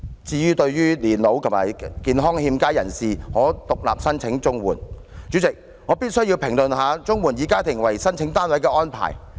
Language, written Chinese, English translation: Cantonese, 至於對年老和健康欠佳人士可獨立申請綜援，代理主席，我必須評論綜援以家庭為申請單位的安排。, As for people of old age or in ill health who have to apply for CSSA on an individual basis Deputy President I must criticize the requirement for making applications on a household basis under the CSSA Scheme